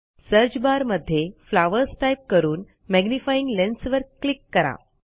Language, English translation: Marathi, In the browsers Search bar, type flowers and click the magnifying lens to the right